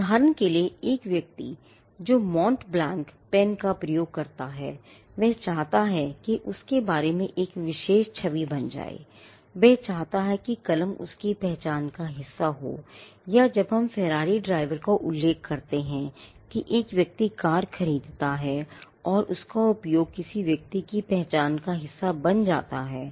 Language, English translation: Hindi, For instance, a person who uses a Mont Blanc pen, he wants a particular image to be conveyed about him, he wants the pen to be a part of his identity or when we refer to a Ferrari driver again the fact that a person purchases the car and uses it becomes a part of a person’s identity